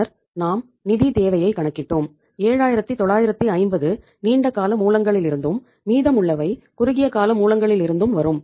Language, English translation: Tamil, Then we worked out the requirement, we could see that 7950 will come from the long term sources and the remaining will come from the short term sources